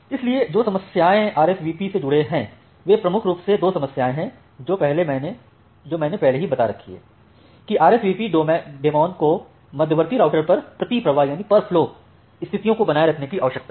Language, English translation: Hindi, So, the problems which are associated RSVP there are major two problems that I have already pointed out: that the RSVP daemon needs to maintain per flow states at intermediate routers